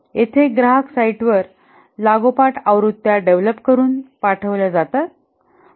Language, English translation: Marathi, Here, successive versions are developed and deployed at the customer site